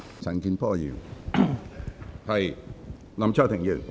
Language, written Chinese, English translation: Cantonese, 陳健波議員，請發言。, Mr CHAN Kin - por please speak